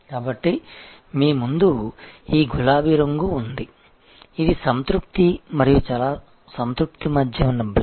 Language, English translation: Telugu, So, there is a this pink thing that you have in front of you, which is the block between satisfied and very satisfied